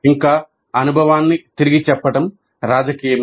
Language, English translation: Telugu, Further, the retelling of the experience is political